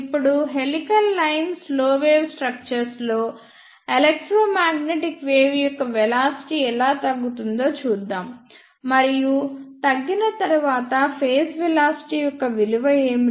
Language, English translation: Telugu, Now, let us see how velocity of electromagnetic wave is reduced and helical line slow wave structure, and what is that value of phase velocity after decreasing